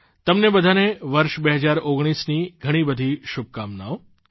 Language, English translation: Gujarati, Many good wishes to all of you for the year 2019